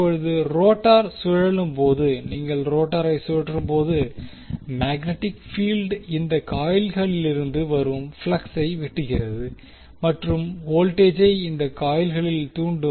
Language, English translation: Tamil, Now, when the rotor rotates, as we saw that when you rotate the rotor the magnetic field will cut the flux from these coils and the voltage will be inducing these coils